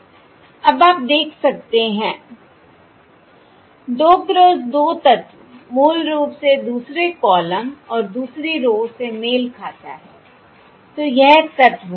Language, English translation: Hindi, Now you can see the two cross two element basically corresponds to the second column and the second row, which is this element